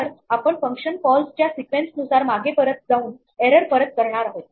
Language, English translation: Marathi, So, we keep back going back across the sequence of function calls passing back the error